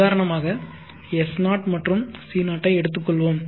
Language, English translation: Tamil, Let us take for example S0 and C0 of same